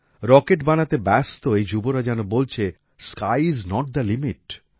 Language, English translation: Bengali, As if these youth making rockets are saying, Sky is not the limit